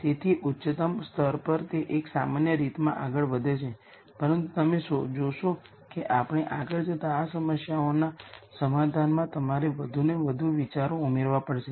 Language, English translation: Gujarati, So, at the highest level it proceeds in a rather general fashion, but you will see you will have to add more and more ideas into solving these problems as we go along